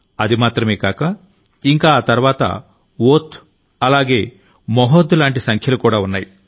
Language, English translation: Telugu, Not only this, there are numbers like Ogh and Mahog even after this